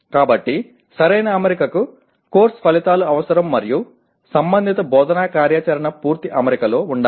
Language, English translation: Telugu, So proper alignment requires course outcomes and related instructional activity should be in complete alignment